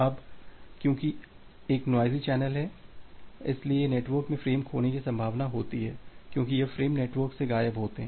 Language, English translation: Hindi, Now, because it is a noisy channel, there is a possibility of having a frame loss because this frame is being lost from the network